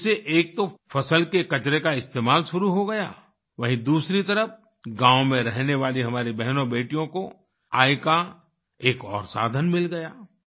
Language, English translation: Hindi, Through this, the utilization of crop waste started, on the other hand our sisters and daughters living in the village acquired another source of income